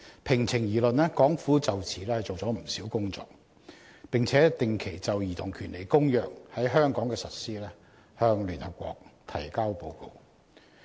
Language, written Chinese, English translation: Cantonese, 平情而論，港府就此做了不少工作，並且定期就《兒童權利公約》在香港的實施向聯合國提交報告。, In all fairness the Hong Kong Government has devoted a lot of efforts to this respect and has been making regular reports to the United Nations on the implementation of the Convention on the Rights of the Child in Hong Kong